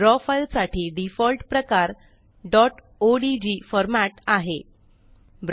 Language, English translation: Marathi, The default file type for Draw files is the dot odg format (.odg)